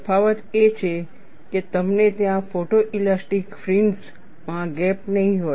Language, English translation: Gujarati, The difference is, you will not have a gap in the photo elastic fringes there